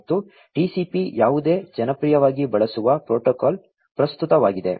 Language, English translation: Kannada, And, what was TCP is a popularly used protocol present